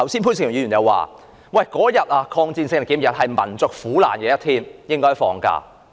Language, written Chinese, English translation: Cantonese, 潘兆平議員剛才說，抗戰勝利紀念日是紀念民族苦難的一天，應該放假。, Just now Mr POON Siu - ping said that the Victory Day should be designated as a holiday because it is a day in commemoration of the suffering of the Chinese nation